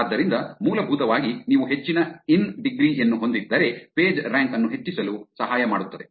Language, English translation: Kannada, So, essentially if you have more of high in degree helps in increasing the Pagerank